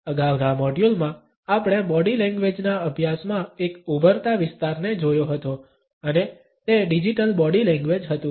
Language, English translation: Gujarati, In the previous module, we had looked at an emerging area in the studies of Body Language and that was the Digital Body Language